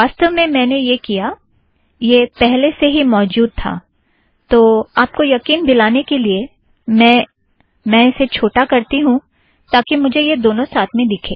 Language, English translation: Hindi, In fact, what I did was, it was already there, so then easiest way to convince you is, let me just, make it smaller, so I can see both simultaneously